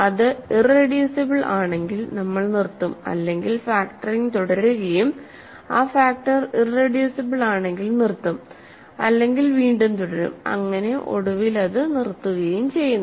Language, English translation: Malayalam, If it is irreducible we stop if not we factor it, if the two factors are irreducible we stop if not we continue factoring them and eventually it stops